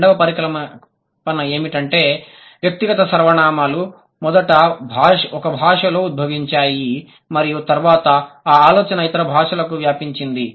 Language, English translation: Telugu, The second hypothesis is that perhaps the personal pronouns first evolved in one language and the idea then spread to the other languages